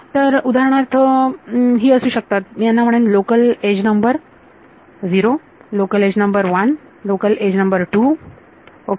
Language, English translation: Marathi, So, for example, these can be I will call this local edge number 0, local edge number 1, local edge number 2 ok